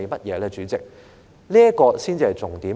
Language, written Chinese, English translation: Cantonese, 代理主席，這才是重點。, Deputy Chairman this is the main point